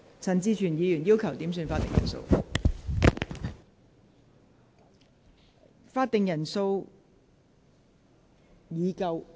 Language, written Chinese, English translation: Cantonese, 陳志全議員要求點算法定人數。, Mr CHAN Chi - chuen has requested a headcount